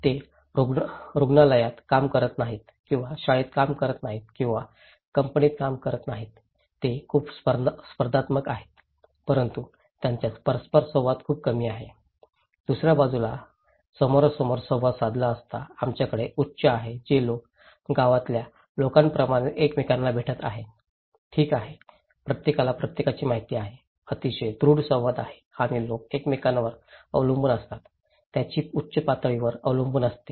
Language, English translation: Marathi, They do not working in a hospital or working in a school or working in a company, they are very competitive but they have very less interactions; face to face interactions on the other hand, we have high one which are people are meeting with each other like in the village okay, everybody knows everyone, very strong interactions and people depend on each other services, they have high dependency